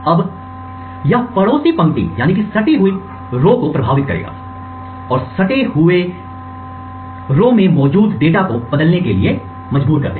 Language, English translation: Hindi, Now this would influence the neighbouring rows and force the data present in the neighbouring rows to be toggled